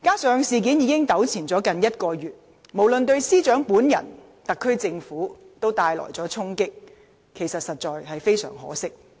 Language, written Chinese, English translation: Cantonese, 事件已糾纏近1個月，無論對司長本人及特區政府，也帶來了衝擊，實在非常可惜。, The incident has lingered for nearly a month . It is honestly very regrettable that it has dealt a blow to the Secretary for Justice herself and the SAR Government